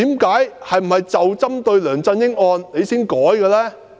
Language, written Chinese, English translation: Cantonese, 是否針對梁振英案而改呢？, Was the change made for LEUNG Chun - yings sake?